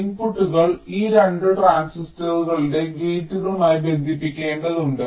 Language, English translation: Malayalam, the inputs have to be connected to the gates of this two transistors